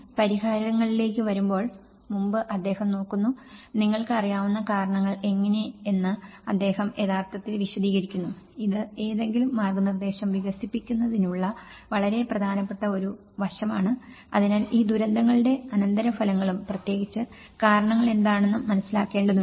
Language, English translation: Malayalam, He looks into the before coming into the solutions, he actually explains the situation of how the causes you know, this is a very important aspect of developing any guidance, so one has to understand the consequences of these disasters and especially, what are the causes; root causes for it